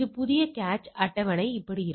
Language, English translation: Tamil, This cache table remains the same